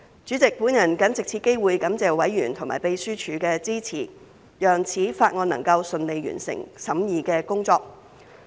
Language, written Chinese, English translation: Cantonese, 主席，我謹藉此機會感謝委員和秘書處的支持，讓《條例草案》能夠順利完成審議的工作。, President I would like to take this opportunity to thank members and the Secretariat for their support which facilitated the smooth completion of the scrutiny of the Bill